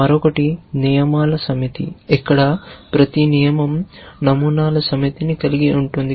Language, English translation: Telugu, The other is the set of rules where each rule consists of a set of patterns